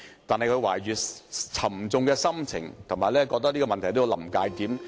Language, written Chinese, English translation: Cantonese, 他懷着沉重的心情，感到這個問題正處於"臨界點"。, With a heavy heart he thinks that this issue has reached a critical point